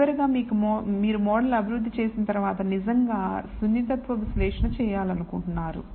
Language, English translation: Telugu, Finally once you develop the model you want to actually do sensitivity anal ysis